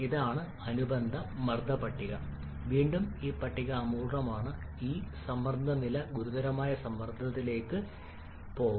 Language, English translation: Malayalam, This is the corresponding pressure table again this table is incomplete this pressure level can go up to the critical pressure